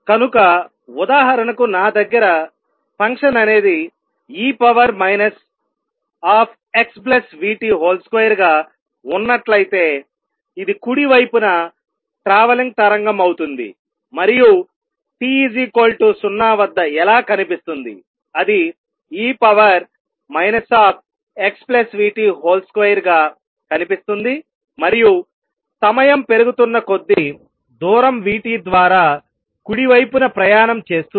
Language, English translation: Telugu, So, for example, if I have e raise to minus x minus v t square as a function this would be a travelling wave to the right and how does it look at time t equal to 0, it look like e raise to minus x square and with time progressing will keep travelling to the right by distance v t